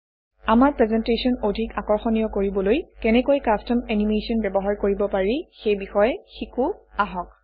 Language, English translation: Assamese, Lets learn how to use custom animation to make our presentation more attractive